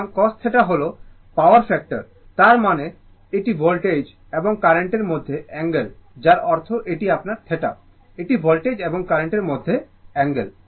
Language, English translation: Bengali, So, cos theta is the power factor right, that means, it is the angle between the voltage and the current that means, this one that means, this one this is your this theta this is the angle between the voltage and the current right